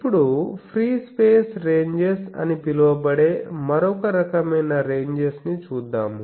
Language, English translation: Telugu, Now, there are another type of ranges which are called the free space ranges